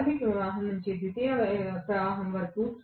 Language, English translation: Telugu, From the primary current to the secondary current